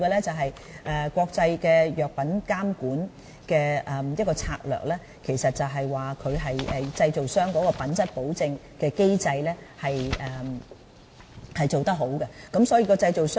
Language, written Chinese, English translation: Cantonese, 至於國際藥品監管策略，其實是指製造商的品質保證機制要做得好，這是最重要的。, Concerning international strategy on drug supervision it actually highlights the utmost importance of ensuring an effective quality assurance mechanism on the part of manufacturers